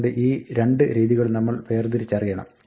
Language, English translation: Malayalam, So, we want to distinguish these two cases